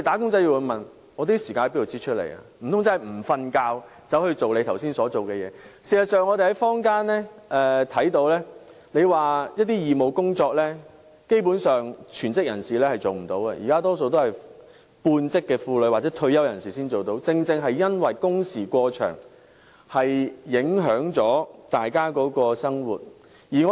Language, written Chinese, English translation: Cantonese, 事實上，我們看到基本上全職人士無法參與坊間的一些義務工作，而現時能參與的大多是半職婦女或退休人士，正正因為工時過長而影響了大家的生活。, In fact we notice that full - timers are basically unable to take up volunteer work in the community and those who can get involved now are mostly half - time female workers or retirees . It is precisely because of the excessively long working hours that peoples lives are affected